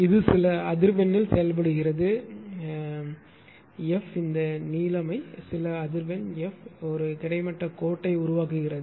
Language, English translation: Tamil, Suppose it is operating at some frequency F say some this blue ink some frequency F make an horizontal line